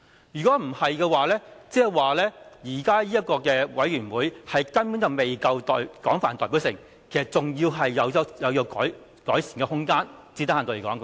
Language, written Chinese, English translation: Cantonese, 如果不是，即是說現時這個提名委員會根本未夠廣泛代表性，最低限度是有改善的空間的。, If that is not the case it simply means that the current nominating committee is not broadly representative at least there is room for improvement